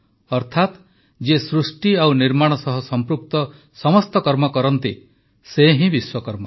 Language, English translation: Odia, Meaning, the one who takes all efforts in the process of creating and building is a Vishwakarma